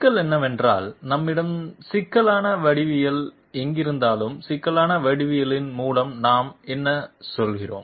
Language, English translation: Tamil, Problem is, wherever we have complex geometry, what do we mean by complex geometry